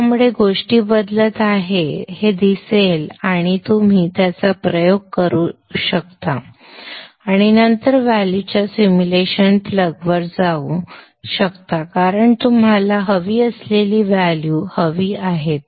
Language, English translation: Marathi, So you will see things changing and then you can keep experimenting with it and then go back to the simulation, plug in the values and see what are the values that you would get